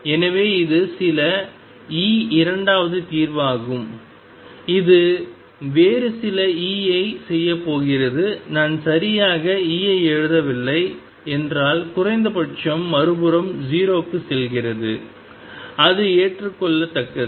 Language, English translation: Tamil, So, this is some e second solution go to do like this some other e unless I have exactly write E that at least goes to 0 on the other side and that is acceptable